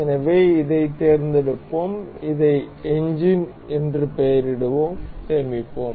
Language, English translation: Tamil, So, we will select this we will name this as engine and we will save